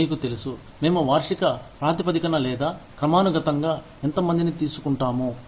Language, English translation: Telugu, You know, how many people, do we hire on an annual basis, or periodically